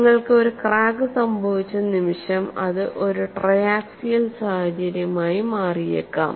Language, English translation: Malayalam, The moment you have a crack it can become a triaxial situation